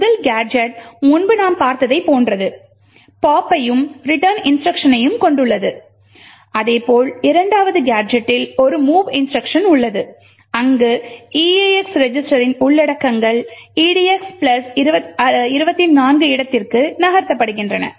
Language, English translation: Tamil, The first gadget is similar as what we have seen before comprising of the pop and return instruction, while the second gadget comprises of a mov instruction where the contents of the eax register is moved into the location edx plus 24